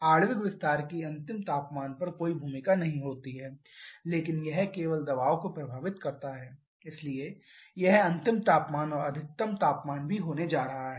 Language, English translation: Hindi, As the molecular expansion does not have any role on the final temperature but it affects only the pressure so this is also going to be the final temperature or the maximum temperature